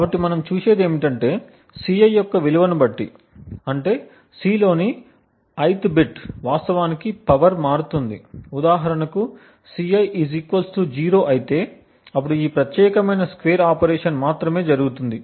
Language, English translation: Telugu, So, what we see is that depending on the value of Ci, that is the ith bit in C, the power would actually vary, if for instance the value of Ci = 0, then only this particular square operation is performed